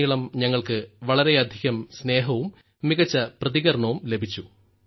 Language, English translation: Malayalam, We have received a lot of affection from the entire country and a very good response